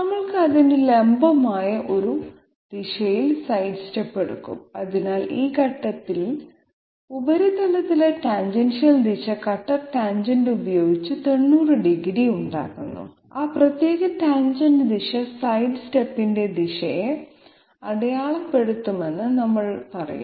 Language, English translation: Malayalam, We will take sidestep at a direction perpendicular to it, so we will say that tangential direction on the surface at this point making 90 degrees with the cutter tangent okay that particular tangential direction will mark the direction of the sidestep